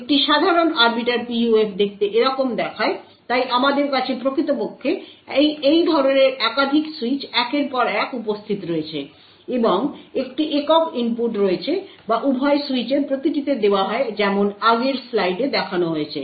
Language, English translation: Bengali, A typical Arbiter PUF looks something like this, so we have actually multiple such switches present one after the other and a single input which is fed to both switches to each switch as shown in the previous slide